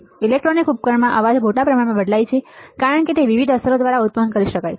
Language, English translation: Gujarati, Noise in electronic devices varies greatly as it can be produced by several different effects